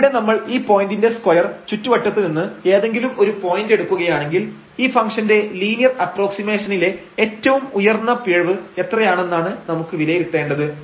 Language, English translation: Malayalam, So, if we take any point in this neighborhood square neighborhood around this point and what will be the maximum error in that linear approximation of this function we want to evaluate